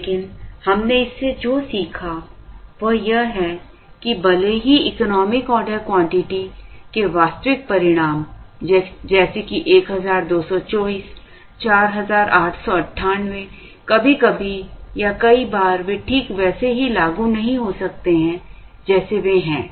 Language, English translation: Hindi, But, what we learned from this is that, even though the actual results of the economic order quantity like 1224, 4898, sometimes or many times they may not be implementable exactly as they are